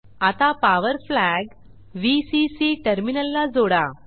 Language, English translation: Marathi, We will place the Power flag near Vcc terminal